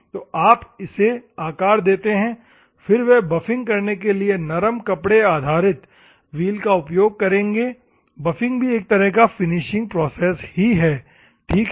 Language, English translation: Hindi, So, you give the shape to this one, then they will move on to the soft, cloth based wheels to go for the buffing which is nothing, but finishing operation, ok